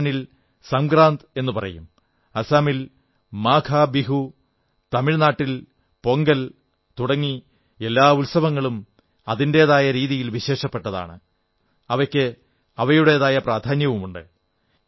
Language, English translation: Malayalam, In Rajasthan, it is called Sankrant, Maghbihu in Assam and Pongal in Tamil Nadu all these festivals are special in their own right and they have their own importance